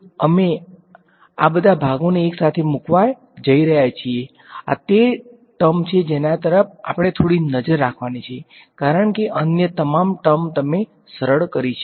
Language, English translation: Gujarati, So, now, we are going to put all of these chunks together this is that term we have to keep a bit of eye on right, because all other terms you simplified